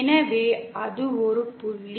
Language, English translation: Tamil, So that is one point